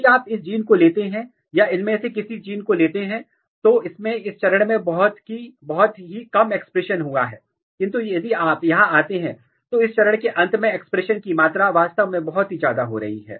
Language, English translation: Hindi, So, if you look this gene, or any of this gene, this has a very low expression at this stage, but if you come here by the end of this stage the expression level is really going very high